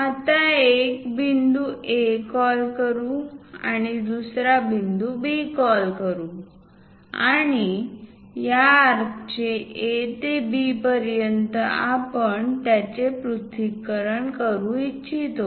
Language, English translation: Marathi, Let us call some point A, let us call another point B and this arc from A to B; we would like to dissect it